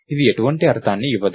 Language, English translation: Telugu, This doesn't make sense